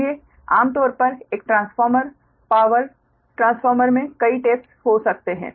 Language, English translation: Hindi, generally in a transformer, power transformer, you will find that tap changing